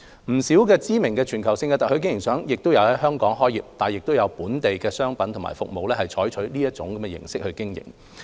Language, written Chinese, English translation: Cantonese, 不少知名的全球性特許經營商也在香港開業，亦有本地的商品和服務採用這種模式經營。, Many well - known global franchise brands have a presence in Hong Kong and there are also home - grown products and services using the franchising model for operation